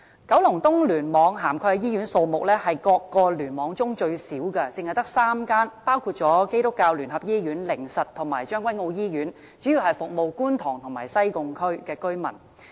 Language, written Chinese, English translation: Cantonese, 九龍東聯網涵蓋的醫院數目是各聯網中最少的，只有3間，包括基督教聯合醫院、靈實醫院和將軍澳醫院，主要服務觀塘及西貢區的居民。, The number of hospitals covered by the Kowloon East Cluster KEC is the smallest . There are only three namely the United Christian Hospital the Haven of Hope Hospital and the Tseung Kwan O Hospital mainly serving the residents in Kwun Tong and Sai Kung